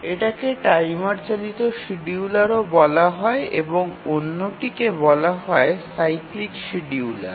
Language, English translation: Bengali, First we'll look at the table driven scheduler and then we'll look at the cyclic scheduler